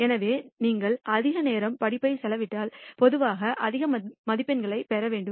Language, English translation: Tamil, So, you should find typically if you spend more time study you should obtain typically more marks